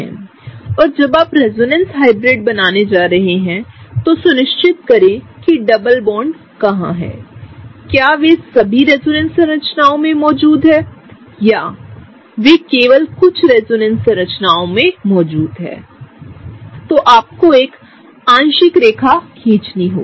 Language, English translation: Hindi, And when you are drawing resonance hybrid, make sure that you are looking at where the double bonds are whether they are present in all the resonance structures or whether they are presenting only some of the resonance structures, then you have to draw a partial dashed line right or a partial line